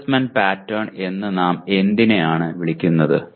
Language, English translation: Malayalam, What do we call assessment pattern